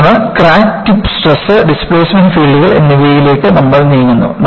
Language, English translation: Malayalam, Then, we move on to Crack Tip Stress and Displacement Fields